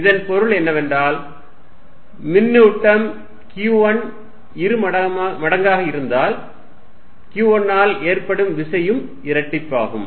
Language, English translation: Tamil, What it also means is, if charge Q1 is doubled force due to Q1 also gets doubled